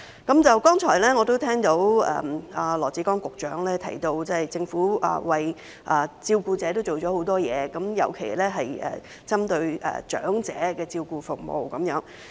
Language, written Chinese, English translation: Cantonese, 剛才我聽到羅致光局長提到政府為照顧者做了很多事，尤其是針對長者的照顧服務。, Just now I heard Secretary Dr LAW Chi - kwong mention that the Government had done a lot for the carers especially the care services for the elderly